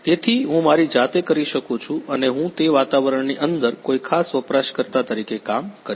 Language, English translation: Gujarati, So, I can do by myself and I will act as a particular user inside that environment